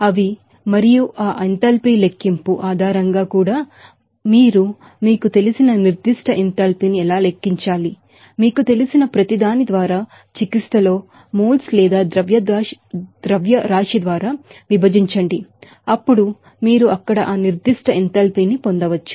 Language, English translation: Telugu, They are and based on that enthalpy calculation also how to calculate that the specific enthalpy just you have to you know, divide that in therapy by each you know, moles or mass then you can get that specific enthalpy there